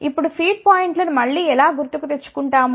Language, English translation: Telugu, Now, how do we chose again the feed points again recall